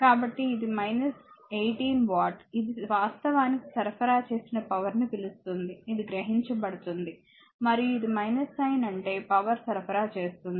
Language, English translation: Telugu, So, it is minus 18 watt this is actually what you call the power supplied by the, this is absorbed and this is minus sign means power supplied